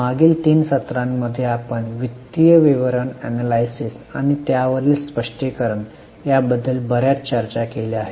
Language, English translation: Marathi, Namaste In last three sessions we have discussed a lot about financial statement analysis and its interpretations